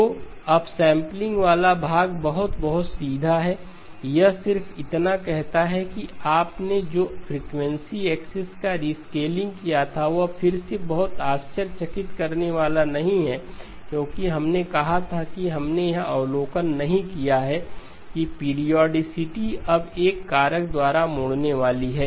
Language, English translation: Hindi, So the upsampling part is very, very straightforward, it just says all you did was rescaling of the frequency axis which again is not very surprising because we did say that we did not make the observation that the periodicity is going to now fold by a factor of L, is that true